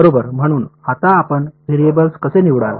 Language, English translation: Marathi, Right so; now we will come to how do you choose variables ok